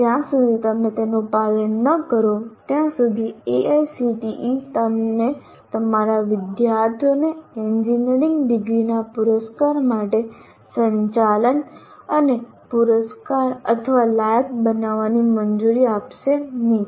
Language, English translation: Gujarati, Unless you follow that, AACTE will not permit you to, permit you to conduct and award or qualify your students for the award of engineering degrees